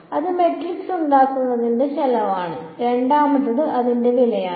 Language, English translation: Malayalam, So, that is the cost of making the matrix a then there is the second is the cost of